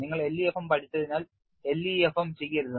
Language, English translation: Malayalam, Do not do LEFM because you have learnt LEFM